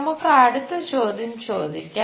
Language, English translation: Malayalam, Let us ask next question